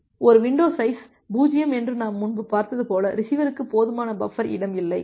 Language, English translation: Tamil, And as we have seen earlier that a window size 0 means, the receiver does not have a sufficient buffer space